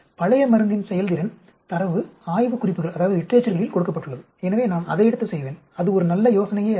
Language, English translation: Tamil, The data performance of the old drug is given in the literature, so I will take that and do it; that is not a good idea at all